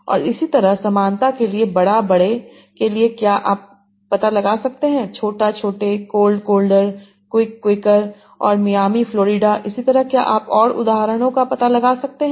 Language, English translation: Hindi, And so similarly for big, bigger, can you find out small, smaller, cold, quicker, and Miami, Florida, can you find out other examples